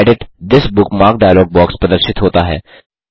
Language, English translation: Hindi, The Edit This Bookmark dialog box appears